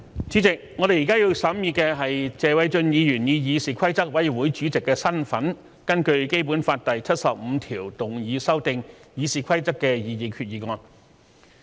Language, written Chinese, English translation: Cantonese, 主席，我們現在要審議的，是謝偉俊議員以議事規則委員會主席的身份根據《基本法》第七十五條動議修訂《議事規則》的擬議決議案。, President we are now deliberating the proposed resolution under Article 75 of the Basic Law to amend the Rules of Procedure RoP moved by Mr Paul TSE in the capacity of the Chairman of the Committee on Rules of Procedure CRoP